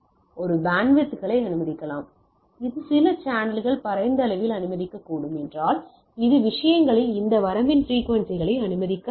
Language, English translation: Tamil, So, it may allow a set of frequency, if it is some of the channels may allow in wider range, it may be allowing this range of frequencies in the things